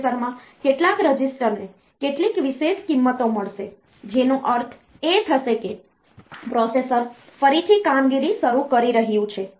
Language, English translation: Gujarati, So, such some registers in the processor they will get some special values, that in some sense will mean that the processor is restarting the operation